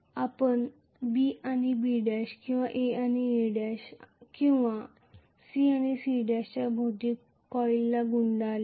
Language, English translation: Marathi, Let us say the coil that is wound around B and B dash or A and A dash or C and C Dash